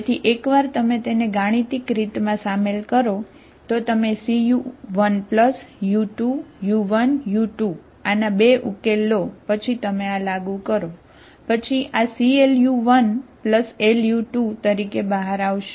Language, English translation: Gujarati, So once you involve mathematically, you take a combination C1 u1 plus u2, u1, u2 are 2 solutions of this then you apply this, then this will come out as L u1 C into L u1 plus L u2